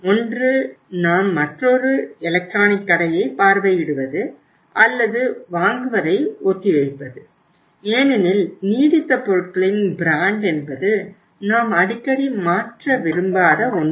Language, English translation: Tamil, Either we visit the another store, another electronic store or we postpone the purchase because brand in case of the consumer durables is something which we do not want to change so frequently